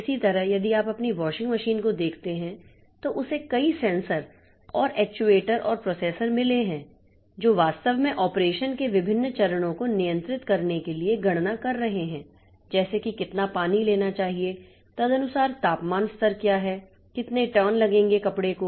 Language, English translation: Hindi, Similarly, if you look into your washing machine then it has got a number of sensors and actuators and processors which are actually doing the computation to control different phases of the operation like how much water should be taken, what is the temperature level, accordingly how many turn the clothing clothed be made and all that so how much time this pin dry should work